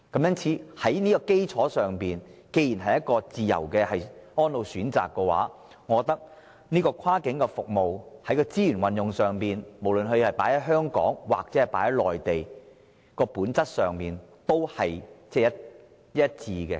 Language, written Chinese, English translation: Cantonese, 因此，在這個基礎上，既然是自由的安老選擇，我認為跨境服務在資源運用上，無論是投放於香港還是內地，本質上應屬一致。, Hence on this basis since free choices of elderly care services are involved I consider that as far as cross - boundary services are concerned the arrangements made in resources utilization should essentially be the same be such resources invested to provide services in Hong Kong or on the Mainland